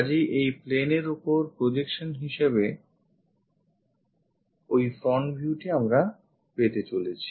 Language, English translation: Bengali, So, that front view we are going to get as the projection onto this plane